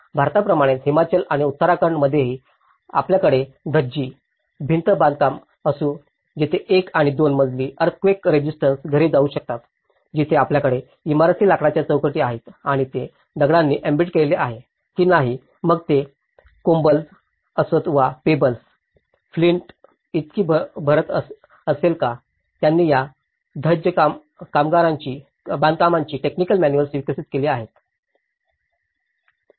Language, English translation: Marathi, Like in India, also in Himachal and as well as in Uttarakhand, we have the Dhajji wall constructions where it can go of the one and two storey earthquake resistant houses, where you have the timber frames and the embedded whether it is a stone embedded, whether it is cobbles or pebbles, whether is a flint filling it so, they have developed the technical manuals of doing this Dhajji constructions